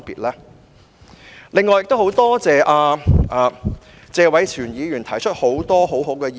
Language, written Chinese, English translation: Cantonese, 我很感謝謝偉銓議員提出了很多很好的意見。, I am very grateful that Mr Tony TSE has given a lot of good advice